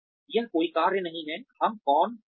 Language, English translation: Hindi, It is not a function of, who we are